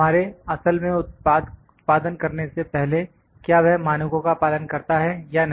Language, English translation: Hindi, Before we have actually manufactured whether it adheres to the standards or not